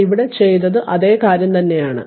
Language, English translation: Malayalam, So, what I have done it here same thing